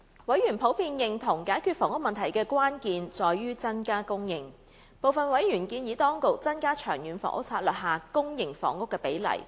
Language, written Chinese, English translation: Cantonese, 委員普遍認同解決房屋問題的關鍵在於增加供應，部分委員建議當局增加《長遠房屋策略》下公營房屋比例。, Members generally agreed that increasing the housing supply was the key to solving the housing problem . Some members suggested that the authorities should adopt a higher proportion of public housing under LTHS